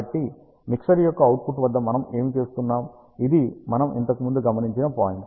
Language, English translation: Telugu, So, here is what we do at the output of the mixer which was this point which we earlier observed